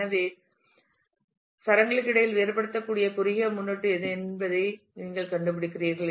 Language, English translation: Tamil, So, you kind of find out what is the shortest prefix which can distinguish between the strings